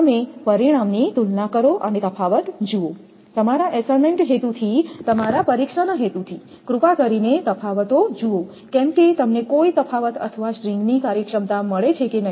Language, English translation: Gujarati, You compare the result and see the differences, from your exam purpose from your assignment purpose please see the differences whether you get any differences or not string efficiency and this one